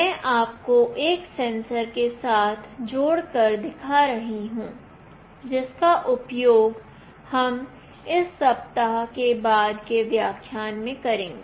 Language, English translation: Hindi, I will be also showing you by connecting it with one of the sensors that we will be using in this week in a subsequent lecture